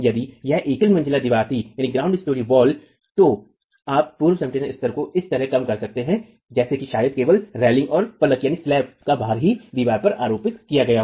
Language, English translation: Hindi, If it were a single storied wall, you reduce the pre compression levels such that probably only the weight of the parapet and the slab is the superimposed load on the wall itself